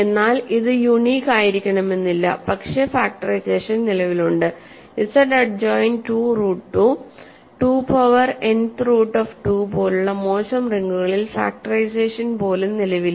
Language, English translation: Malayalam, But it may not be unique, but factorization exists and in even more bad rings like Z adjoined roots of 2, 2 power nth roots of 2, even factorization does not exist